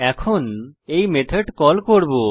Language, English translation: Bengali, Now we will call this method